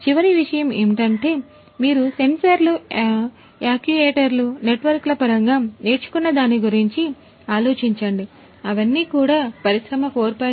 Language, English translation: Telugu, Then the last thing is think about whatever you have learnt in terms of the sensors, the actuators, the networks that is the beauty about industry 4